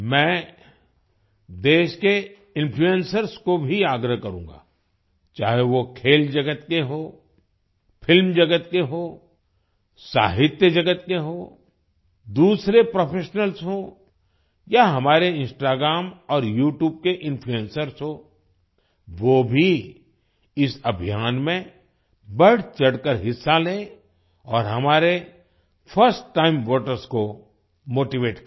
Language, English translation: Hindi, I would also urge the influencers of the country, whether they are from the sports world, film industry, literature world, other professionals or our Instagram and YouTube influencers, they too should actively participate in this campaign and motivate our first time voters